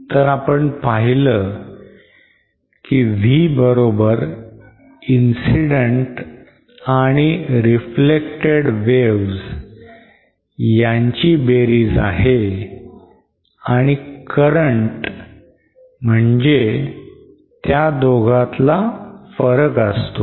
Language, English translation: Marathi, So then V we saw is equal to the sum of the incident and the reflected waves and current is equal to the difference between them